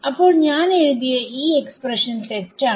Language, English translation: Malayalam, Now our expression is correct